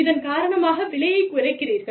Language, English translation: Tamil, And, you bring the price down